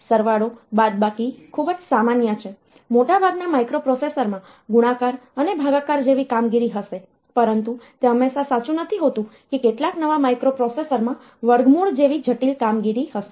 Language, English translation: Gujarati, So, normally addition, subtraction these are very common most microprocessors will have operations like multiply and divide, but it is not always true some of the newer ones will have complex operation such as square root